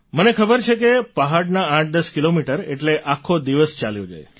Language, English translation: Gujarati, I know that 810 kilometres in the hills mean consuming an entire day